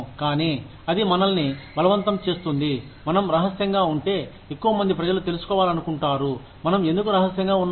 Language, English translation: Telugu, But then, it forces us to, if we are secretive, then more and more people, will want to know, why we are secretive